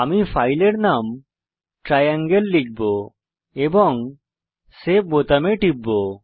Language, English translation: Bengali, I will type the file name as Triangle and click on Save button